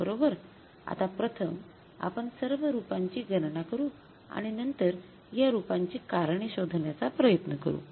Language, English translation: Marathi, Now first we will calculate all the variances and then we will try to find out the reasons for these variances